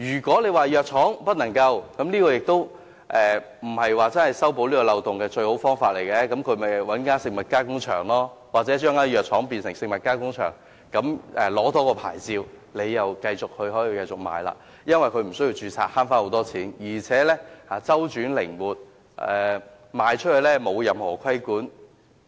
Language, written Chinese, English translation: Cantonese, 規定藥廠不能生產食品，也不是修補漏洞的最佳辦法，因為藥廠可以透過食物加工場加工，或將藥廠變成食物加工場，多取一個牌照後又可以繼續生產售賣，無須註冊為中成藥，大大節省成本，而且出售後不受任何規管。, Prohibiting pharmaceutical manufacturers from manufacturing food products is not the best solution to plug the loophole . After all pharmaceutical manufacturers may make such products through other food factories or they may convert their drug factories into food factories or obtain another licence so that the products do not have to be registered as proprietary Chinese medicines . They can save significant costs by doing so and the products sold will not be subject to regulation